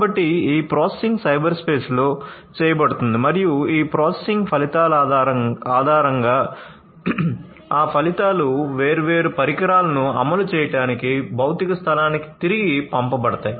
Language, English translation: Telugu, So, it will be done this processing will be done in the cyberspace and based on the results of this processing those results will be sent back to the physical space for actuating different devices right